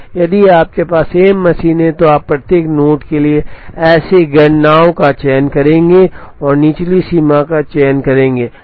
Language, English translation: Hindi, If you have m machines, you will choose m such calculations for every node and choose the lower bound